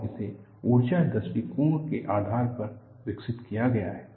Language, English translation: Hindi, And this is developed based on energy approach